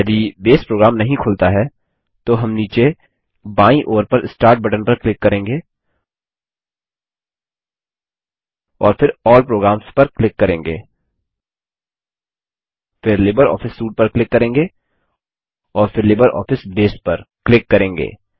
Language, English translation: Hindi, If Base program is not opened, then we will click on the Start button at the bottom left,and then click on All programs, then click on LibreOffice Suite and then click on LibreOffice Base